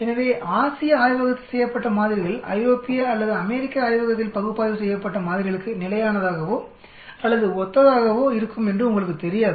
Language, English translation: Tamil, So you will not know the samples analyzed in say Asian lab are consistent or similar to the samples analyzed in European or an American lab